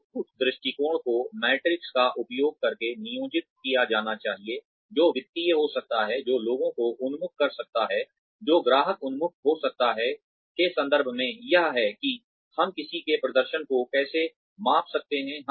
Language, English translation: Hindi, The outputs approach should be employed using metrics, which could be financial, which could be people oriented, which could be customer oriented, in terms of, this is how we could measure somebody's performance